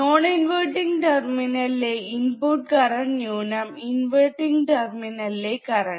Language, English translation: Malayalam, The input by bias current at the non inverting terminal minus input bias current at the inverting terminal